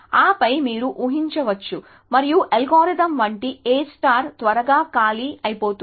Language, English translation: Telugu, And then you can imagine that and A star like algorithm will quickly run out of space essentially